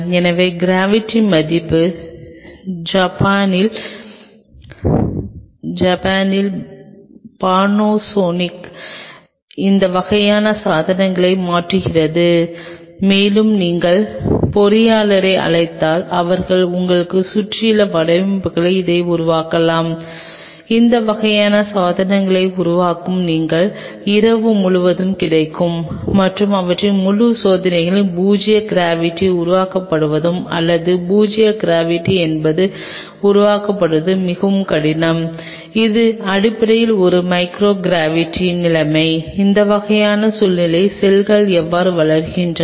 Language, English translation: Tamil, So, the gravity value changes these kind of devices Panasonic in Japan they do make it, and if you have call in engineer surround you they can develop it for in their designs which you are available all night to make this kind of devices, and their whole idea is to simulate zero gravity or zero gravity is tough really to simulate it is basically a micro gravity situation how the cells grows in that kind of situation